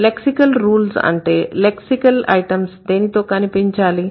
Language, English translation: Telugu, So, the lexical rules would be which lexical item should appear with what